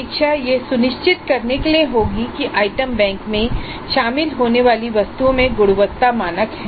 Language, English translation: Hindi, The review would be to ensure that the items which get included in the item bank have certain quality standards